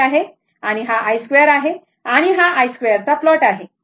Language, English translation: Marathi, This i, this is i and this is i square, this is i square plot right